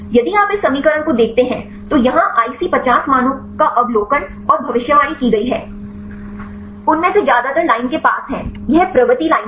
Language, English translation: Hindi, If you see this equation then here this is the observed and predicted IC50 values; most of them are very near to the line, this is the trend line